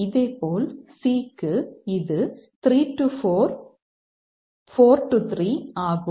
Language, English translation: Tamil, Similarly for C it is 3 4 and 4 3